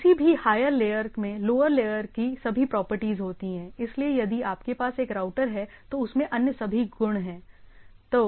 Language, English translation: Hindi, So, any higher layer as all the properties of the lower layer thing so, if you have a router it as all the other properties